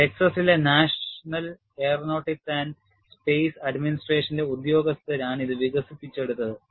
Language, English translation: Malayalam, This was developed by the staff of the National Aeronautics and Space Administration at Texas